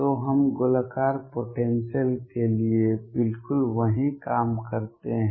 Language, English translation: Hindi, So, we do exactly the same thing for spherical potentials